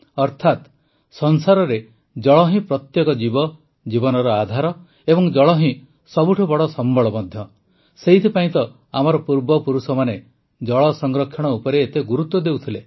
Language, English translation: Odia, That is, in the world, water is the basis of life of every living being and water is also the biggest resource, that is why our ancestors gave so much emphasis on water conservation